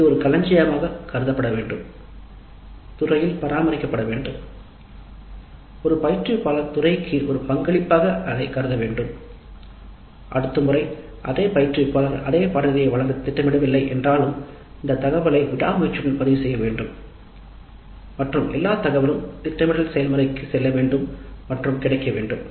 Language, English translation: Tamil, It should be considered as a kind of a repository maintained at the department level and thus an instructor should look at it as a contribution to the department and even if the same instructor is not planning to deliver the course the next time this information must be recorded diligently and all the data that goes into the planning process must also be available